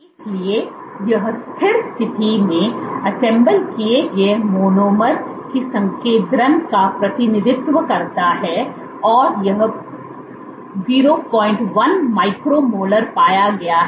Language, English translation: Hindi, So, this represents the concentration of unassembled monomers at steady state and this has been found to be 0